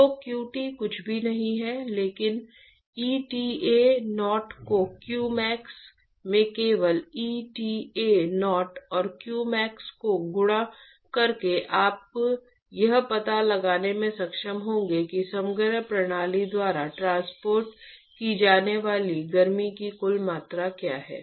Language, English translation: Hindi, So, qt is nothing, but eta0 into q max by simply multiplying eta0 and qmax you will be able to find out what is the total amount of heat that is transported by the composite system